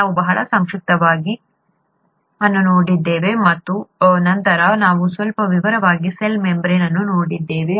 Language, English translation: Kannada, We very briefly looked at the cell wall and then we looked at the cell membrane in some detail